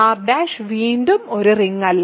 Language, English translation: Malayalam, So, R is not a ring